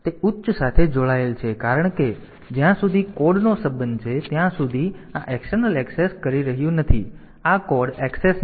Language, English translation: Gujarati, So, that is that is connected to high because this is not doing an external access as far as the code is concerned this is not code access